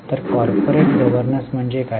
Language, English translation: Marathi, So, what is corporate governance